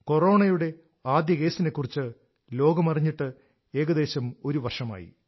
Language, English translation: Malayalam, It has been roughly one year since the world came to know of the first case of Corona